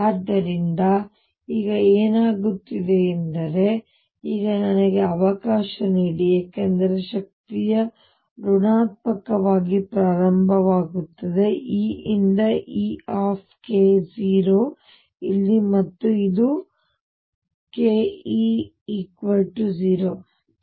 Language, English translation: Kannada, So, what happens now is let me now because the energy is negative start from E equals e k 0 here and this is k this is k E equals 0 here